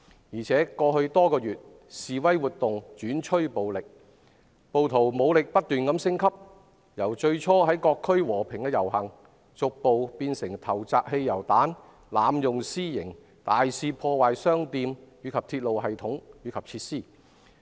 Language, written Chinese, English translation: Cantonese, 而且，在過去多個月中，示威活動轉趨暴力，暴徒武力不斷升級：由最初在各區和平遊行，逐步變成投擲汽油彈、濫用私刑、大肆破壞商店及鐵路系統和設施。, Over the past few months demonstrations have turned violent and the rioters violence has escalated gradually from the initial peaceful marches in various districts to the hurling of petrol bombs vigilante attacks and sabotage of shops and railway systems and facilities